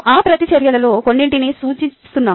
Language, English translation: Telugu, we are representing just a few of those reactions